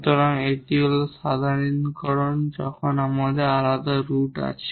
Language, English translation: Bengali, So, that is the generalization when we have the distinct roots